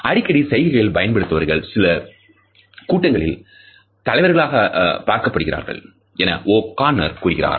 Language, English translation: Tamil, O’Conner has found that frequent gesturing is highly correlated with people who were perceived by others to be leaders in small groups